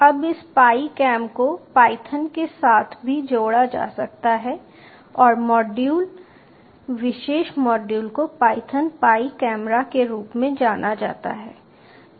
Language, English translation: Hindi, now this pi cam can also be ah integrated with python and the module particular module is known as python pi camera